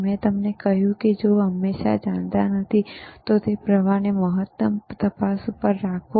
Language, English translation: Gujarati, I told you that if you do not know always, keep the current on maximum probe on maximum,